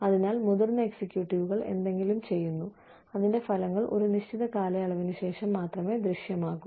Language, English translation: Malayalam, So, senior executives do something, the results of which, become visible, only after a certain period of time